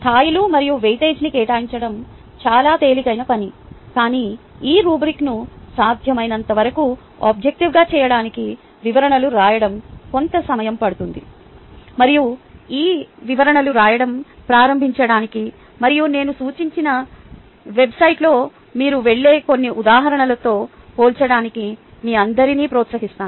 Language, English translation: Telugu, assigning ah levels and weightage is much easier task, but writing descriptions to make this rubric as objective as possible will take some time and i would encourage all of you to start writing ah these descriptions and compare it to some examples which you would go through ah in the website which i have suggested